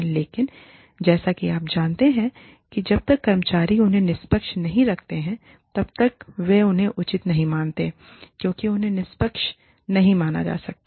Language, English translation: Hindi, But, as you know, till the employees, see them as fair, they will not, till they perceive them as fair, they cannot be considered, fair